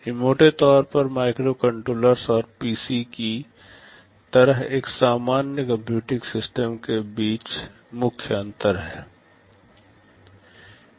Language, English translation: Hindi, These are broadly the main differences between a microcontroller and a normal computing system like the PC